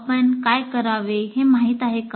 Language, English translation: Marathi, Do you know what is to be done